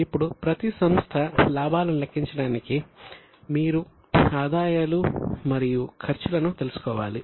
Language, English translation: Telugu, Now, for every entity to calculate the profit you will need to know the incomes and expenses